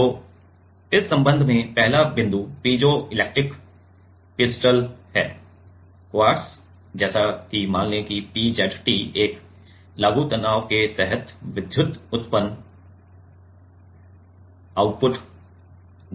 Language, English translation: Hindi, So, the first point in this regard is piezo electric crystals; like quartz comma let us say PZT gives electrical output, output under an applied stress